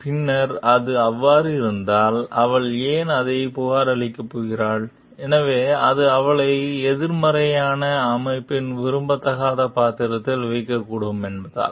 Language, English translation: Tamil, Then if that is so, then why she is going to report about it, so because it may put her in a negative unwelcome role in the organization